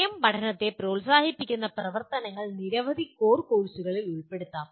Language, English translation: Malayalam, Activities that promote self learning can be incorporated in several core courses